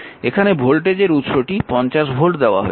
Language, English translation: Bengali, So, and the I current voltage source is given 50